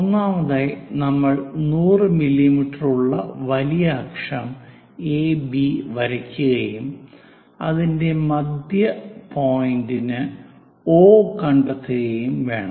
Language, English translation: Malayalam, Draw major axis AB 100 mm and locate midpoint O